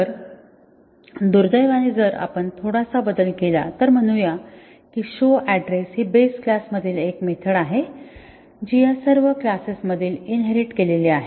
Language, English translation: Marathi, So, unfortunately if we make a small change let say show address() is a method in the base class which is inherited in all these classes